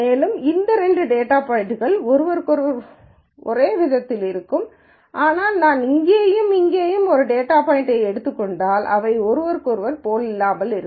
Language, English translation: Tamil, These two data points will be more like and these two data points will be more like each other, but if I take a data point here and here they will be in some sense unlike each other